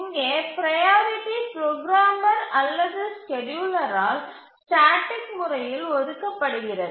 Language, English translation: Tamil, Here the priority is statically allocated by the programmer or the designer